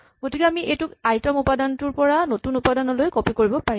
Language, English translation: Assamese, So we can copy it from the ith element to the new element